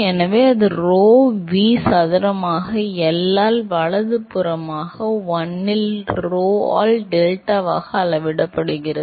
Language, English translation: Tamil, So, that scales as rho V square by L right into 1 by rho into delta